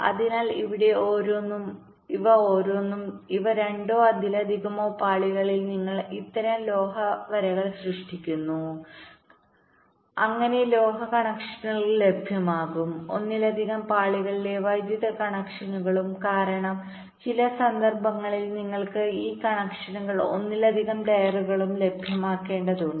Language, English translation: Malayalam, you create such metal stripes on more than two or more layers so that metal connections will be available, power connections on more than one layers also, because in some cases you need this connections to be made available on more than one layer as well